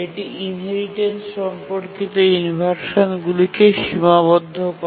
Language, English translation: Bengali, And also it limits inheritance related inversions